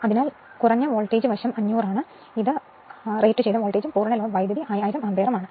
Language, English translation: Malayalam, So, low voltage side voltage is 500; this is rated voltage and full load current is 1000 ampere